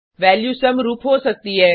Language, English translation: Hindi, Value can be duplicate